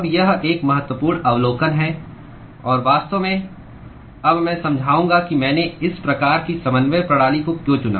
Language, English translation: Hindi, Now, this is an important observation and in fact, now I will explain why I chose this kind of a coordinate system